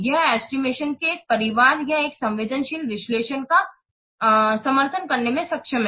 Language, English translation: Hindi, It is efficient and able to support a family of estimations or a sensitive analysis